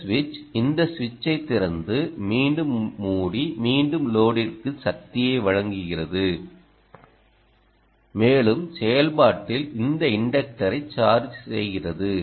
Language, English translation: Tamil, this switch opens, this switch again, ah, closes and again delivers power to the load and again in the process, also charges this inductor